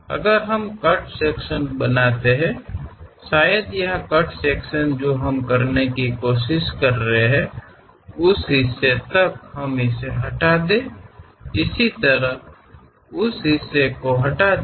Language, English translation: Hindi, If we make a cut section; perhaps here cut section what we are trying to do is, up to that part remove it, similarly up to that part remove it